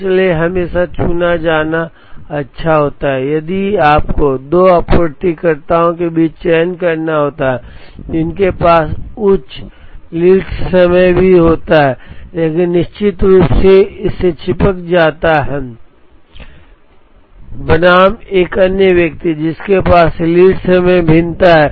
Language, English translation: Hindi, So, it is always good to chose, if you have to choose between 2 suppliers who even has the higher lead time but, definitely sticks to it, versus another person who has variation in lead time